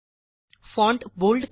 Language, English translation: Marathi, Make the font bold